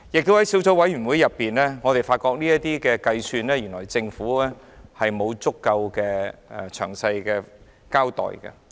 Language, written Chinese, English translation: Cantonese, 在小組委員會進行審議期間，我們亦發現就地價的計算，政府沒有作出詳細交代。, During the deliberations of the Subcommittee we also found that the Government had not given a detailed account on the calculation of the land premium